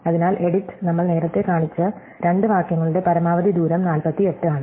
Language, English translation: Malayalam, So, the edit distance is at most 48 for the two sentence that we shown earlier